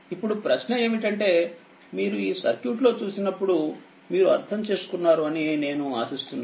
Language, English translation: Telugu, Now question is that if you look into this circuit let me I hope you have understood this right